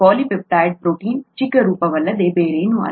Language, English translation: Kannada, A polypeptide is nothing but a shorter form of protein